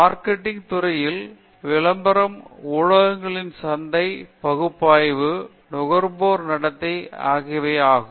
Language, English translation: Tamil, Marketing, it has been analysis of advertisement and media with market segmentation, consumer behavior